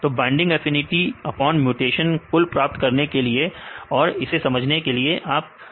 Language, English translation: Hindi, So, to get the binding affinity upon mutation, you can use this for the understanding the affinity upon mutation